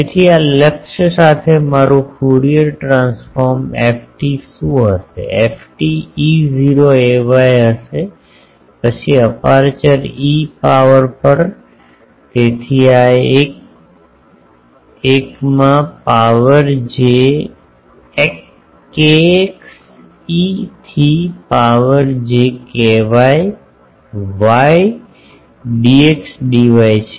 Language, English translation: Gujarati, So, with this aim what will be my Fourier transform f t, f t will be E not sorry E not that ay then on the aperture e to the power so, this is 1, 1 into e to the power j kx e to the power j ky y dx dy